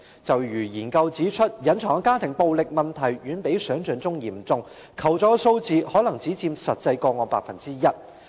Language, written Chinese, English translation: Cantonese, 正如研究指出，隱藏的家庭暴力問題遠比想象嚴重，求助數字可能只佔實際個案的 1%。, As a study indicated the problem of hidden family violence is far more serious than imagined and the number of requests for assistance may account for only 1 % of actual cases